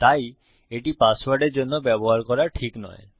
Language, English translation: Bengali, So, its not good to use it for a password